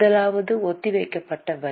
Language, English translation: Tamil, The first one is defer tax